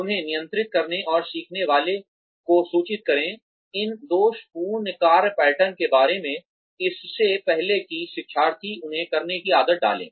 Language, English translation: Hindi, Control them and inform the learner, about these faulty work patterns, before the learner gets into the habit of doing them